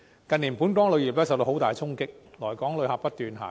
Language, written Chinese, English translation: Cantonese, 近年，本港旅遊業受到很大衝擊，來港旅客不斷下降。, In recent years our tourism industry has been hit hard and the number of visitors to Hong Kong has been decreasing